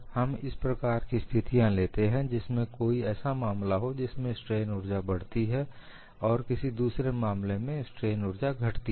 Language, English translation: Hindi, We would take up situations in a manner that, in one case strain energy increases, in another case strain energy decreases